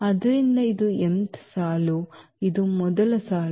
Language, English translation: Kannada, So, this is the mth mth row this is the first row